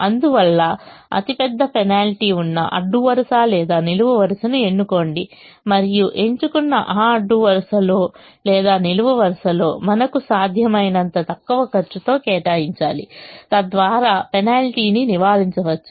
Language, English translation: Telugu, therefore, choose the row or column that has the largest penalty and, in that row or column that has been chosen, allocate as much as you can in the least cost position so that the penalty can be avoided